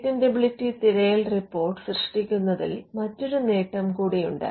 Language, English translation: Malayalam, Now there is also another advantage in generating a patentability search report